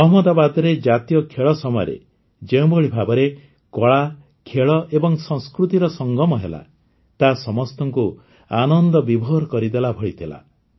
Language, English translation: Odia, The way art, sports and culture came together during the National Games in Ahmedabad, it filled all with joy